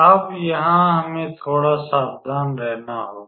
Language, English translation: Hindi, So, here we have to be a little bit careful